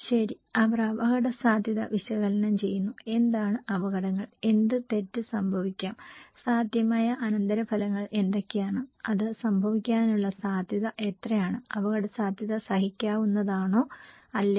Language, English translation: Malayalam, Okay, they do hazard analysis, what are the hazards, what can go wrong, what are the potential consequences, how likely is it to happen, is the risk is tolerable or not